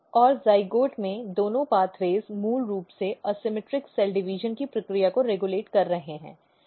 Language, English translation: Hindi, And both of the pathway in the zygote they are basically regulating the process of asymmetric cell division